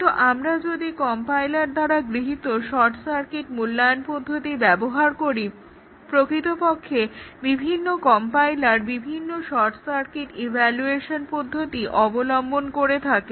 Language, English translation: Bengali, But, if we use the short circuit evaluation techniques adopted by compilers, actually the short circuit evaluation adopted by different compilers differ